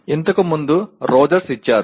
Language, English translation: Telugu, Earlier was given by Rogers